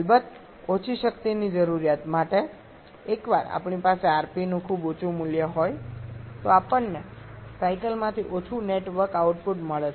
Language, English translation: Gujarati, Of course for lesser power requirement we are rather once we are having a very high value of rp we are getting less net work output from a cycle